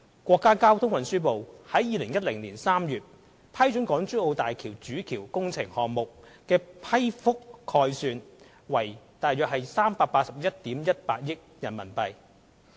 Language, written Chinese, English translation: Cantonese, 國家交通運輸部於2010年3月批准港珠澳大橋主橋工程項目的批覆概算為約381億 1,800 萬元人民幣。, The project estimate of the Main Bridge of HZMB approved in March 2010 by the Ministry of Transport of the State was about RMB38.118 billion